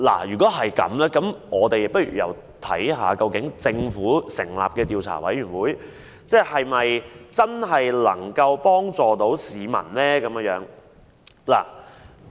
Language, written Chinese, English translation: Cantonese, 如果這樣，我們不妨看看，由政府成立的調查委員會是否真的可以幫助市民？, If that is the case we may as well see if the Commission set up by the Government will really help the public